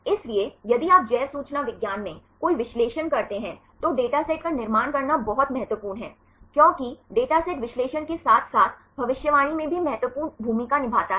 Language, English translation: Hindi, So, if you do any analysis in bioinformatics, it is very important to construct dataset, because dataset plays an important role in the analysis as well as in the prediction